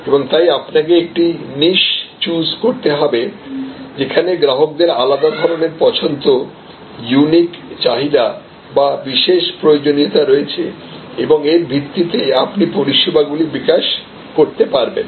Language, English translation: Bengali, And so you have to choose a niche, where customers have a distinctive preference, unique needs or special requirements and based on that you will be able to develop services